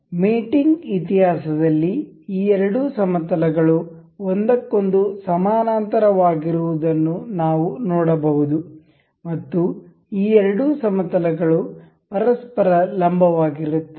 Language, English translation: Kannada, So, in the mating history we can see these two these two planes are parallel with each other and the these two planes are perpendicular with each other